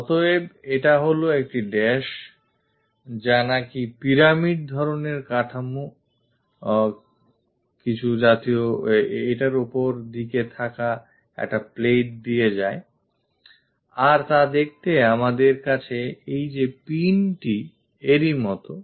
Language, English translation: Bengali, So, this is dash one goes via that a plate on top of that we have this kind of pyramid kind of structure which is something like a pin we have it